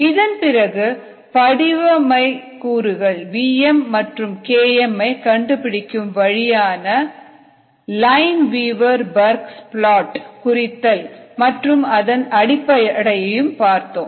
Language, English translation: Tamil, and then we found out ah, a way to find out the model parameters v m and k m by the lineweaver burk plot and the bases for that, and we also did some practice problems